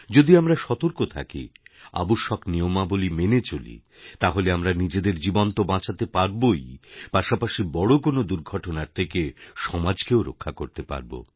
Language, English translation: Bengali, If we stay alert, abide by the prescribed rules & regulations, we shall not only be able to save our own lives but we can prevent catastrophes harming society